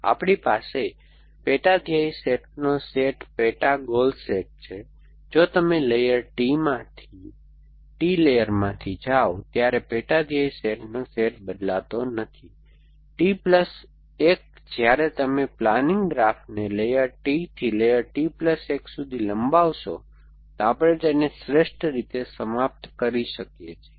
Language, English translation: Gujarati, So, we have a set sub goals set of sub goal sets, if the set of sub goal sets does not change as you go from layer T layer, T plus 1 as you extend the planning graph from layer T to layer T plus 1 then we can terminate best in it